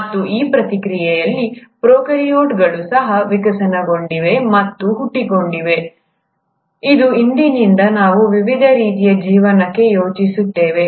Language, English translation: Kannada, And in the process, the Prokaryotes have also evolved and has given rise, is what we think as of today to different forms of life